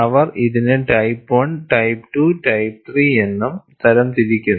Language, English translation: Malayalam, People classify 3 different varieties; they also classify it as type 1, type 2, type 3